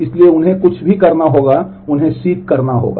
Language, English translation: Hindi, So, everything they will have to be will need to seek them